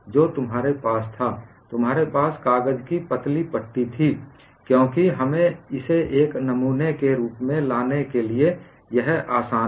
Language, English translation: Hindi, What you had was you had a thin strip of paper, because it is easy far us to bring it as a specimen and you had one central crack